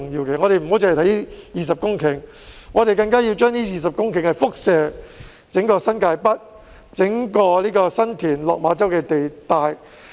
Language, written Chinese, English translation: Cantonese, 我們不應只着眼於這20公頃土地，還要以這20公頃土地輻射至整個新界北，包括新田、落馬洲的地帶。, We should not focus only on these 20 hectares of land . Instead we should use themas a jumping - off point to cover New Territories North as a whole including the San Tin and Lok Ma Chau areas